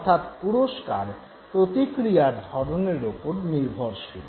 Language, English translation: Bengali, So reward is always contingent upon the occurrence of the response